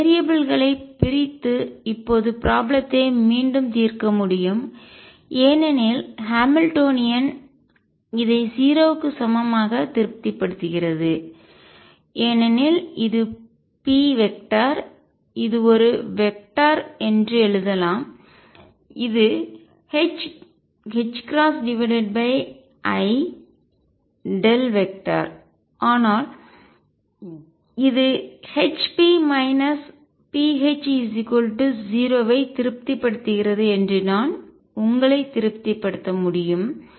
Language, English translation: Tamil, We can do separation of variables and solve the problem now again the Hamiltonian satisfies this equal to 0 because p, vector let me write this is a vector is nothing but h cross over i times the gradient operator any can satisfy yourself that this satisfies hp minus p H equal 0